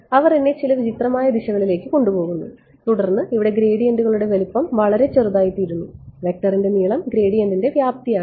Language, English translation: Malayalam, They take me in some weird direction over here and then here the gradients become very small in magnitude the length of the vector is the magnitude of the gradient